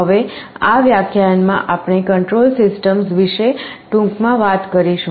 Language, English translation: Gujarati, Now in this lecture, we shall be talking about something called Control Systems very briefly